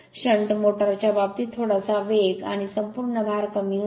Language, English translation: Marathi, In the case of a shunt motor speed slightly drops and full load